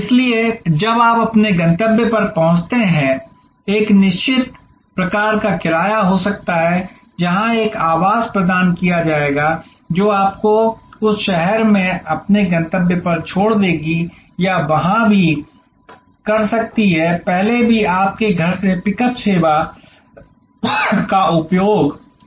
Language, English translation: Hindi, So, when you arrive at your destination there can be a certain kind of fear, where there will be a losing provided, which will drop you at your destination in that city or there could, even earlier there use to be pickup service from your home for your flight